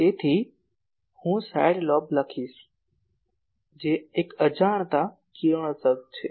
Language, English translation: Gujarati, So, I will write side lobe is one which is unintentional radiation